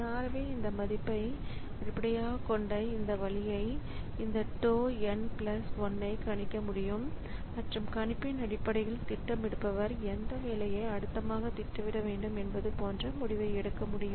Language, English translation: Tamil, So, this way based on those TN values this tau n plus 1 can be predicted and based on that prediction the scheduler can take a decision like which job to be scheduled next